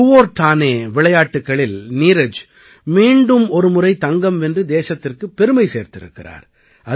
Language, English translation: Tamil, Neeraj once again made the country proud by winning the gold in Kuortane Games